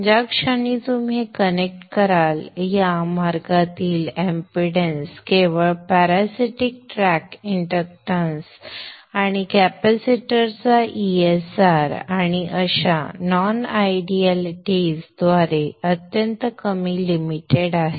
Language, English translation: Marathi, So the moment you connect this, the impedance in this path is very minimal, limited only by the parasitics, the track inductance and the ESR of the capacitors and such, such of the non idealities